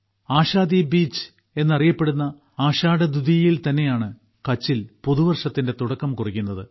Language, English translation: Malayalam, Ashadha Dwitiya, also known as Ashadhi Bij, marks the beginning of the new year of Kutch on this day